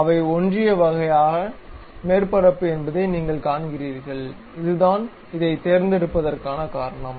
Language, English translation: Tamil, You see they are coincident kind of surface that is the reason it is pick this one